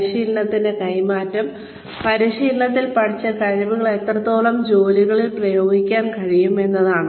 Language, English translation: Malayalam, Transfer of training is, the extent to which, competencies learnt in training, can be applied on the jobs